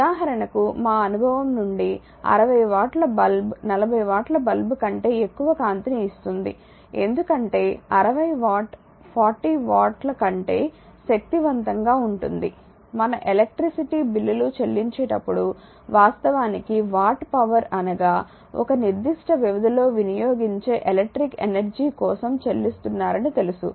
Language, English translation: Telugu, For example, we all know from our experience that is 60 watt bulb gives more light than a 40 watt bulb because 60 watt is powerful than 40 watt we also know that when we pay our electricity bills we are actually paying for the electric energy that is watt hour consume over a certain period of time right we or that whatever electric bill if you pay this is watt hour